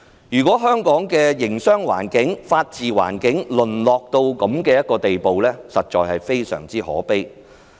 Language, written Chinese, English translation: Cantonese, 如果香港的營商、法治環境淪落至這樣的地步，實在非常可悲。, It is truly pathetic that the business environment and the rule of law in Hong Kong have deteriorated to such a state